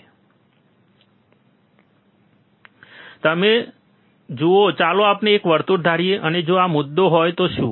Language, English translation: Gujarati, So, you see, let us assume a circle um, and what is if this is the point